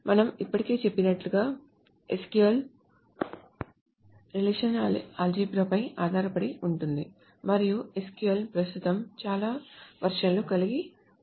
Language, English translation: Telugu, SQL is based upon relational algebra as we already have said and SQL has many many many versions currently